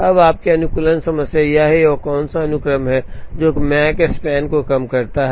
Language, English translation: Hindi, Now, your optimization problem is what is the sequence that minimizes Makespan